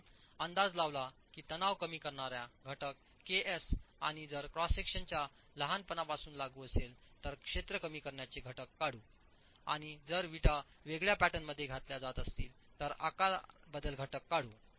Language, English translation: Marathi, You estimate the stress reduction factor KS and if applicable the area reduction factor to account for smallness of the cross section and the shape modification factor if the bricks are being laid in a different pattern